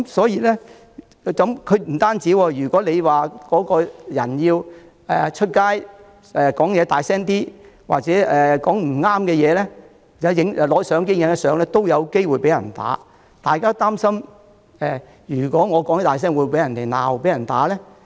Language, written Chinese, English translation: Cantonese, 也不只這樣，如果有市民在街上說話大聲一點、說了些不中聽的話或拍照，也有機會被打，大家於是都擔心如果自己說話大聲，會否被罵或打。, What is more people on the street may be assaulted if they speak a bit more loudly say something not to the liking of the rioters or take pictures . Hence we all worry if we will be told off or beaten up if we speak too loudly